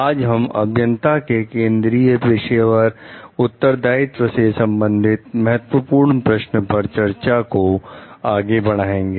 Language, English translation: Hindi, Today we will continue with our discussion of the Key Questions regarding the Central Professional Responsibilities of Engineers